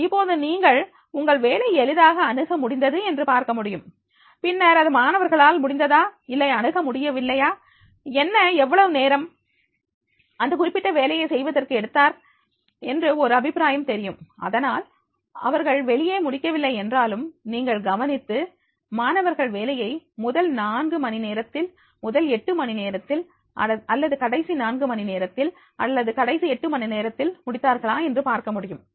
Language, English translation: Tamil, So you can easily see that when you are work has been accessed and then whether it has been accessed or it is not been accessed by the student, what and he has access and how much time he has taken to do that particular task an idea, you can take and therefore even they have not completed the work you can notice, you can find out that is the whether the student has whatever the assignment has given has done in the first four hours, first eight hours or in the last four hours and last eight hours